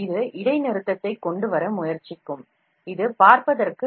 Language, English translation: Tamil, This will try to bring in discontinuity, it might give you a very poor look